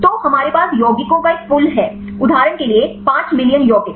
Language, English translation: Hindi, So, we have a pool of compounds for example, 5 million compounds